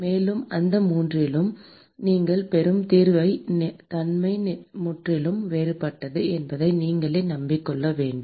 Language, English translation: Tamil, And you have to convince yourself that the nature of the solution you get in all these 3 are completely different